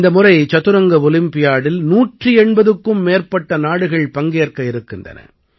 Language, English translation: Tamil, This time, more than 180 countries are participating in the Chess Olympiad